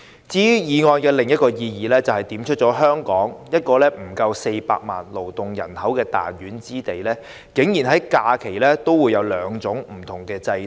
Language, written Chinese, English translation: Cantonese, 至於議案另一項意義，就是點出了在香港這個勞動人口不足400萬人的彈丸之地，在假期安排上竟然有兩種不同制度。, The motion is also meaningful because it pointed out that there are two different systems of holiday arrangements in Hong Kong which is a very small place with less than 4 million working people